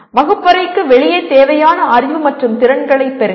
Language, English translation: Tamil, Acquire the required knowledge and skills outside classroom